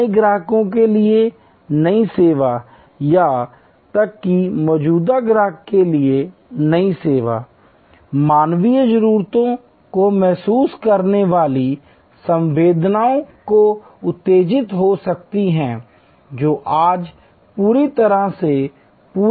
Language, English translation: Hindi, new service to new customers or even new service to existing customer can be stimulated by sensing human needs sensing needs that are not properly fulfilled not adequately met today